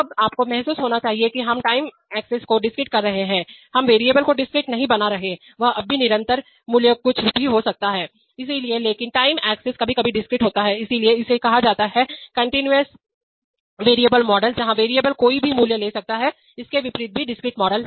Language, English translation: Hindi, Now you must realize that we are discretizing the time axis, we are not discretizing the variable value variable value is axis is still continuous variable value can be anything, so but the time axis is sometimes discretized, so that is why it is called a continuous variable models, where variables can take any value, contrary to this in discrete even models